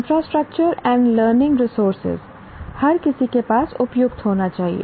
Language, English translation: Hindi, Infrastructure and learning resources, everyone should have the They appropriate one